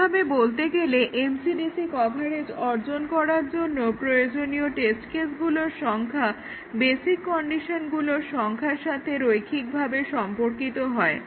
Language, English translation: Bengali, In other words the number of test cases required to achieve MCDC coverage is linear in the number of basic conditions